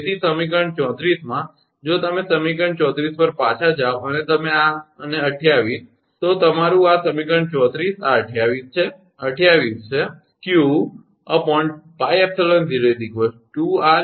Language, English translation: Gujarati, So, in equation 34 if you go back to equation 34 and you this and 28, this is your equation 34 this 28, 28 is q upon pi epsilon 0 2 r Gr, right